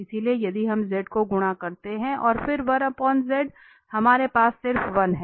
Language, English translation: Hindi, So, if we multiply it with 2 z and then 1 over z we have just 1